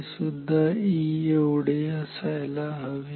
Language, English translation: Marathi, This should also be equal to E